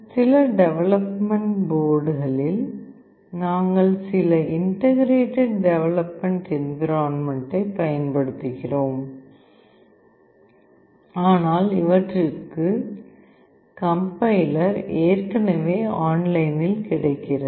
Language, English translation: Tamil, In some development boards we use some integrated development environment, but for some the compiler is already available online